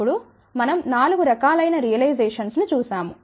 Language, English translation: Telugu, Then, we looked at four different types of realization